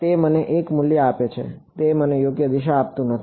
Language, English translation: Gujarati, It gives me a value it does not give me direction right